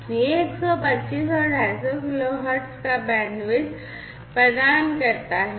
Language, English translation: Hindi, It offers bandwidth of 125 and 250 kilo hertz